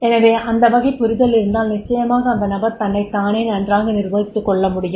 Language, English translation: Tamil, So, if that type of the understanding is there, then definitely the person will be able to manage himself very well